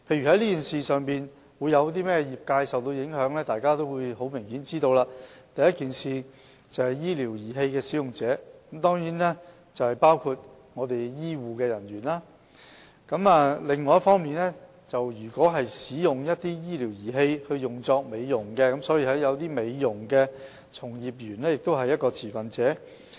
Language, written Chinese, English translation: Cantonese, 例如受這件事影響的持份者，很明顯，第一是醫療儀器使用者，當然包括醫護人員；另一方面，如果使用醫療儀器作美容用途，一些美容從業員也是持份者。, For instance the stakeholders will be affected by this framework obviously include the users of medical devices which certainly include HCPs . On the other hand the stakeholders include beauticians if the medical devices are used for cosmetic purposes